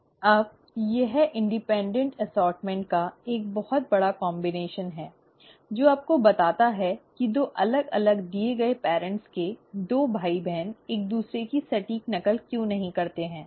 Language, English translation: Hindi, Now that is a huge combination of independent assortment, which further tells you why two different, two siblings of a given parents are not exact copy of each other